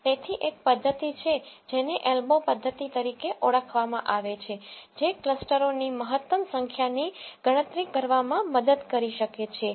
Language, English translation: Gujarati, So, there is one method which is called as the elbow method which can help us to calculate the optimal number of clusters k